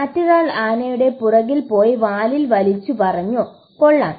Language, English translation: Malayalam, The other one went behind the elephant and pulled on the tail said, Wow